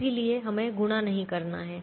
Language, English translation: Hindi, so we don't have to do the multiplication